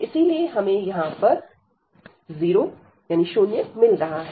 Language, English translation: Hindi, Then this one, and therefore we are getting this 0 there